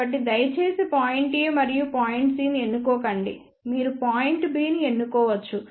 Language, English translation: Telugu, So, please do not choose point A and C you can choose point B